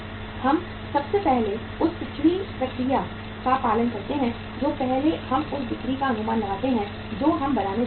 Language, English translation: Hindi, We first follow the backward process that first we forecast the sales we are going to make